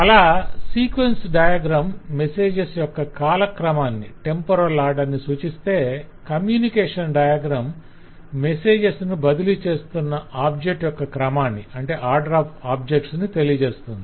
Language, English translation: Telugu, so the sequence diagram tell us the temporal order in which the messages are sent and the communication diagram tell us the special order or the object to object order of how messages are sent